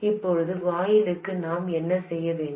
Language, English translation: Tamil, Now, what should I do about the gate